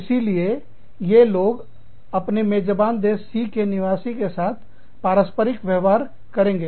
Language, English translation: Hindi, So, these people, go and interact, with the host country nationals, in country C